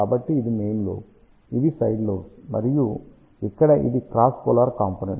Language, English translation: Telugu, So, this is main lobe, these are the side lobes and this one here is the cross polar component